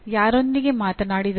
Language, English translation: Kannada, Who spoke to …